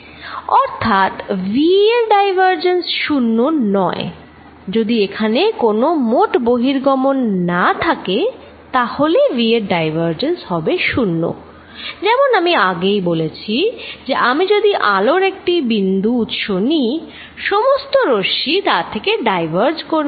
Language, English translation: Bengali, So, divergence of v not zero, if there is no net flow divergence of v is 0, as I said earlier if I take a point source of light, all the rates are diverging from it